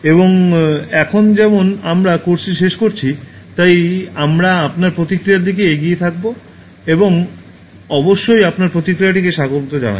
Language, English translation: Bengali, And now as we have concluded the course, so we will be looking forward towards your feedback, we welcome your feedback on the course